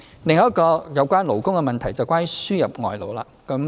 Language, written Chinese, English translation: Cantonese, 另一個有關勞工的議題是輸入外勞的問題。, Another labour related topic is importation of labour